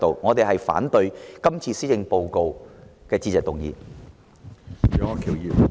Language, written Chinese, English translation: Cantonese, 我們反對這份施政報告的致謝議案。, We will vote against this Motion of Thanks for this Policy Address